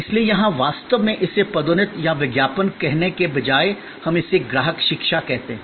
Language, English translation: Hindi, So, here actually instead of calling it promotion or advertising, we call it customer education